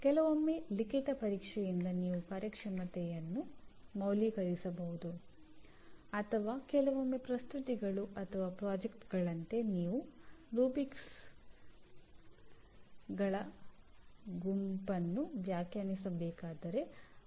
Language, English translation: Kannada, Sometimes the performance is like a written examination where you can value the performance or sometimes like presentations or projects you need to define a set of rubrics which are again are to be or can be unambiguously be measured